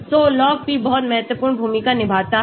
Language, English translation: Hindi, So, log p plays a very important role